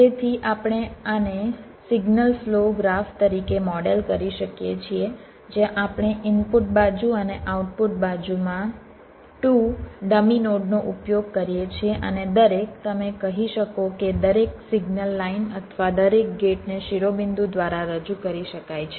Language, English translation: Gujarati, so we can model this as a signal flow graph where we use two dummy notes in the input side and the output side, and every, you can say every signal line or every gate can be represented by a verdicts